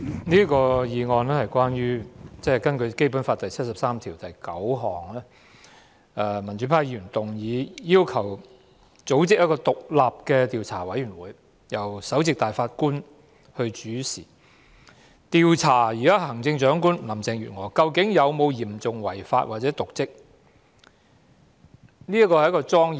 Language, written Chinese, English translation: Cantonese, 主席，民主派議員根據《基本法》第七十三條第九項動議這項議案，以組成一個由首席大法官主持的獨立調查委員會，調查行政長官林鄭月娥有否嚴重違法或瀆職行為的指控。, President pan - democratic Members have moved this motion under Article 739 of the Basic Law so that the Chief Justice of the Court of Final Appeal can form and chair an independent investigation committee to investigate the alleged serious breaches of law andor dereliction of duty